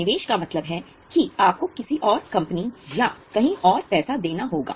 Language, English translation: Hindi, Investment means you have to give it money to some other company or somewhere else